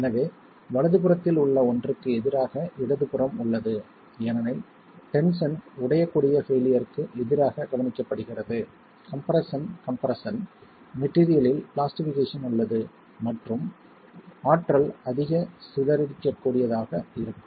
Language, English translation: Tamil, So the one on the right versus the one on the left, that's because brittle failure in tension is observed versus under compression compression there is more plastication in the material and energy that can be dissipated